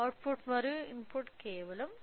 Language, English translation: Telugu, So, the output and input are simply 0